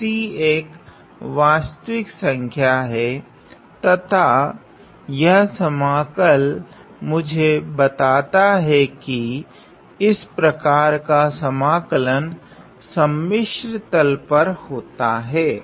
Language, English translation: Hindi, So, C is the real number and this integral tells me that this sort of an integration is over a complex plane